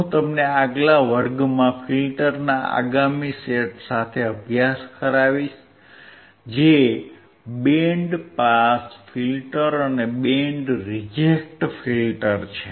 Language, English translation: Gujarati, And I will see you in the next class with the next set of filter which is the band pass filter and band reject filter